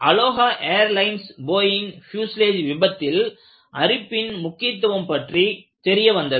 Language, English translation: Tamil, Earlier, in the case of Aloha Airline Boeing fuselage Failure, it brought out the importance of stress corrosion